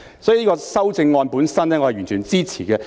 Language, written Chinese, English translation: Cantonese, 所以，修正案本身我是完全支持的。, For this reason the amendment has my full support